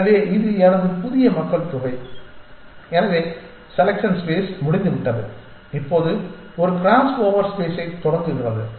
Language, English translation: Tamil, So, this is my new population so selection space is over now begins a crossover space